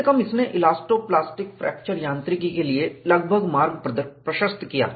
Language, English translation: Hindi, This paved the way for elasto plastic fracture mechanics, at least approximately